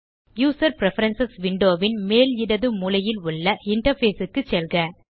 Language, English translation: Tamil, Go to Interface at the top left corner of the User Preferences window